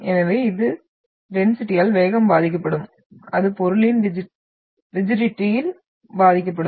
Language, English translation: Tamil, So it the velocity will be affected by the density, it will be affected by the rigidity of the material